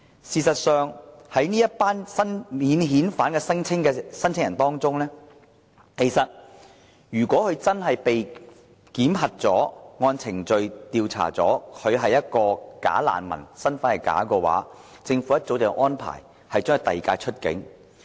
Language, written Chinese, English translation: Cantonese, 事實上，在這群免遣返聲請人當中，如果真的經過檢核、按程序作出調查，而他是一個"假難民"、身份是假的話，政府早已安排把他遞解出境。, In fact among these non - refoulement claimants anyone identified as a bogus refugee with a false identity will be deported right after the screening procedures